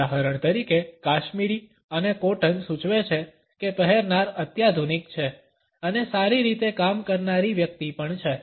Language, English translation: Gujarati, For example, cashmere and cotton suggest that the wearer is sophisticated and also a well to do person